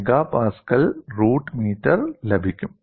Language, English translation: Malayalam, 15 MPa root meter